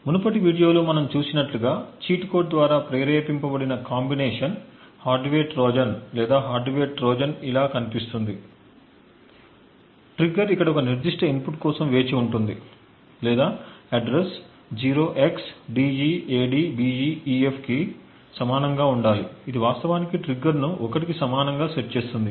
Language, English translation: Telugu, So as we have seen in the previous video a combinational hardware Trojan or a hardware Trojan which is triggered by a cheat code would look something like this, the trigger would wait for a specific input over here or the address should be equal to 0xDEADBEEF and then it would actually set the trigger to be equal to 1